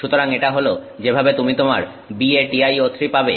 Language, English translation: Bengali, So, that is how you get your BATI O 3